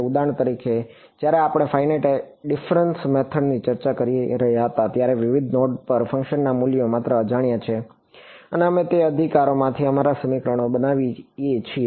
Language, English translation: Gujarati, For example, when we were discussing finite difference method is just the unknown are the values of the function at various nodes and we form our equations out of those right